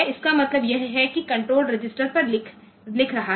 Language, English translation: Hindi, That means it is doing it is writing to the control register